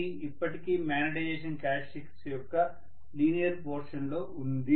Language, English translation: Telugu, It is still in the linear portion of the magnetization characteristic